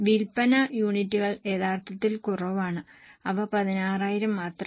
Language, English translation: Malayalam, Sale units are actually less, they are only 16,000